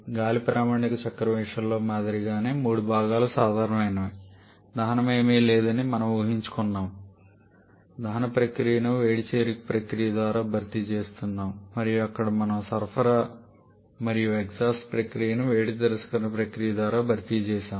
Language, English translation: Telugu, But what is common then in between the common is the three parts if we assume like in case of a standard cycles we have assumed there is no combustion rather we are replacing the combustion process by a heat addition process and also there we have replaced the supply and exhaust process by a heat rejection process